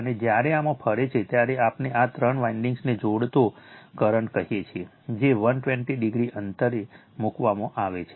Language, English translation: Gujarati, And when you revolve in this, your what we call that flux linking all these three windings, which are placed 120 degree apart